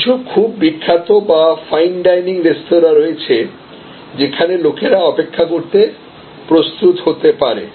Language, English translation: Bengali, So, there are some very famous or fine dining restaurants, where people may be prepared to wait